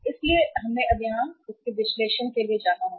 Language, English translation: Hindi, So we will have to now go for this analysis here